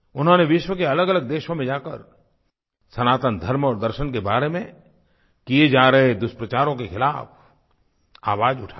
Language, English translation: Hindi, She travelled to various countries and raised her voice against the mischievous propaganda against Sanatan Dharma and ideology